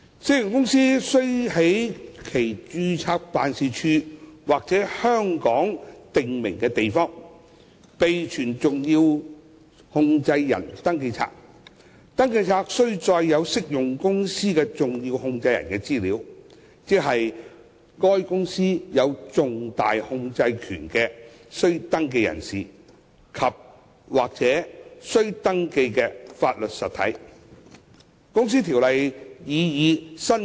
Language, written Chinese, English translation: Cantonese, 適用公司須在其註冊辦事處或香港的訂明地方備存登記冊，而登記冊須載有適用公司的重要控制人的資料，即對該公司有重大控制權的須登記人士及/或須登記法律實體。, An applicable company is required to keep a SCR at the companys registered office or a prescribed place in Hong Kong . A SCR must contain information on the significant controllers of an applicable company namely registrable persons andor registrable legal entities who have significant control over the company